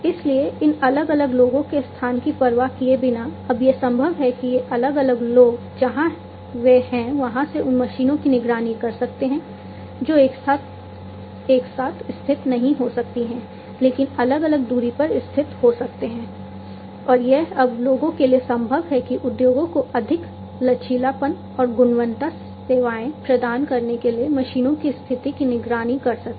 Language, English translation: Hindi, So, regardless of the location of where these different people are now it is possible that these different people, they can monitor the machines, which may not be located where they are, but might be located distance apart, and it is now possible for people to monitor the condition of the machines to provide more flexibility and quality services to the industries